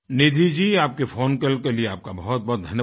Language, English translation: Hindi, Nidhi ji, many thanks for your phone call